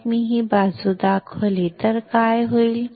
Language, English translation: Marathi, So, what will happen if I show you this side